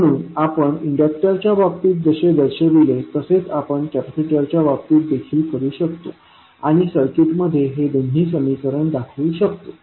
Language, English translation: Marathi, So, we can represent as we did in case of inductor, we can do in case of capacitor also and represent these two equations in the circuit